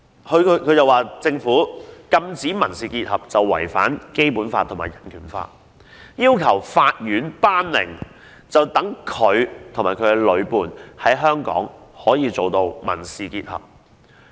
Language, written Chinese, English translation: Cantonese, 她指政府禁止民事結合違反《基本法》及《香港人權法案條例》，要求法院頒令，讓她及女伴可以在香港締結民事結合。, She claims that it is against the Basic Law and the Hong Kong Bill of Rights Ordinance for the Government to forbid civil union and she requests the Court to make an order so that she and her same - sex partner can enter into a civil union in Hong Kong